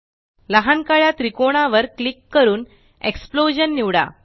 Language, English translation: Marathi, Then, click on the small black triangle and select Explosion